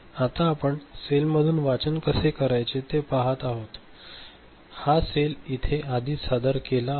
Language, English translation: Marathi, Now, we look at reading from the cell so, this cell is already you know presented here